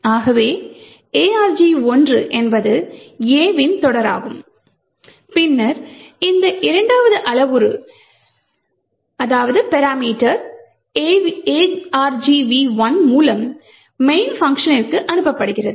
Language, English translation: Tamil, So, argv 1 is the series of A’s which is then passed into the main function through this second parameter argv 1